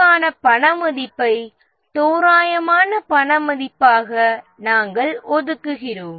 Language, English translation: Tamil, The potential damage, we assign a money value, approximate money value for the risk